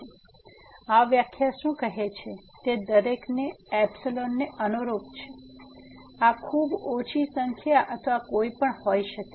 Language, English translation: Gujarati, So, what this definition says is that corresponding to every epsilon; so this could be a very small number or anything